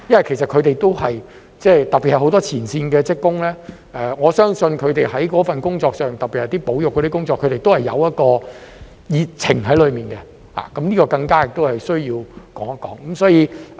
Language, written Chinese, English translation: Cantonese, 其實他們特別是很多前線職工，我相信在這份工作上，特別是保育工作，他們內裏都有一份熱情，所以這個更加需要一提。, In fact I believe these staff members particularly many front line workers are passionate about their job particularly about conservation work . For this reason I consider it all the more necessary to mention this here